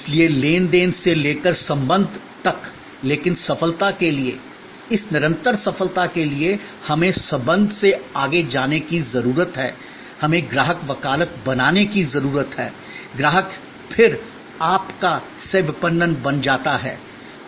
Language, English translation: Hindi, So, from transaction to relation, but for success, this continuous success, we need to go further than the relation, we need to create customer advocacy, customer then becomes your co marketed